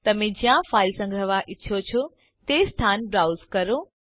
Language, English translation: Gujarati, Browse the location where you want to save your file